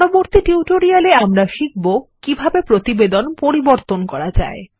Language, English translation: Bengali, In the next tutorial, we will learn how to modify our report